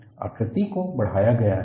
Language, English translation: Hindi, The figure is magnified